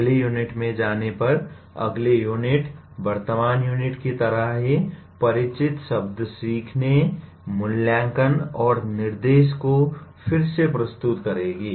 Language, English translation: Hindi, Going to the next unit, next unit will like the present unit will reintroduce the familiar words learning, assessment, and instruction